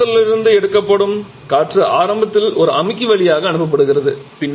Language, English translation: Tamil, And what about air the air which is taken from the atmosphere it initially passes through a compressor